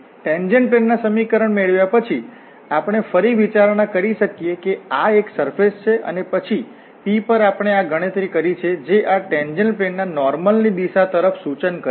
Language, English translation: Gujarati, Getting through the equation of the tangent plane we can again consider that this is a surface and then at p we have computed this dell f which points out in the direction of the normal to this tangent plane